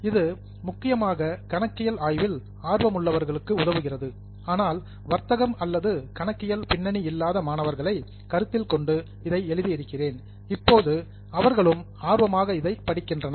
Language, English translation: Tamil, This mainly caters to those who are interested in the study of accounting but tries to consider those students who may not have a commerce or accounting background but today are interested in accounting education